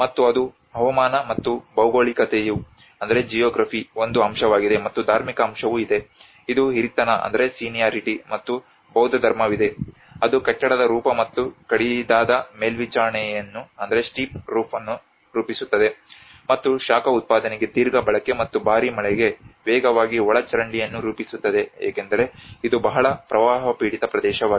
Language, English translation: Kannada, And that is the climate, and the geography is one aspect, and also there is religious aspect there is a seniority plus Buddhism which frames the form of the building and a steep roof and a long use for heat production and fast drainage for heavy rain because it has been a very flood prone areas